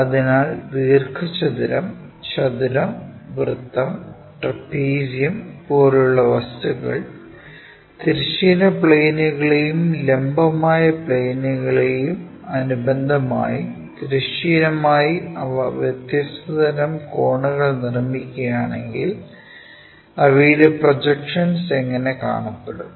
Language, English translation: Malayalam, So, such kind of objects for example, like rectangle, square, circle, trapezium and such kind of planes if they are making different kind of angles on horizontal with respect to the horizontal planes and vertical planes how do their projections really look like